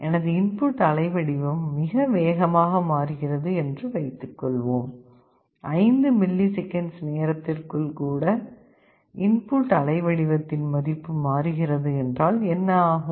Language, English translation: Tamil, Now, suppose my input waveform is changing very rapidly, even within the 5 millisecond time the value of the input waveform is changing